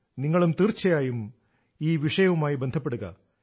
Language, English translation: Malayalam, You too should connect yourselves with this subject